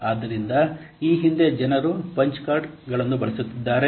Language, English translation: Kannada, So, previously people are using Ponce cards